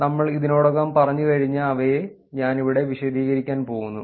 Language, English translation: Malayalam, So, here I am going to actually explain them, something we have already done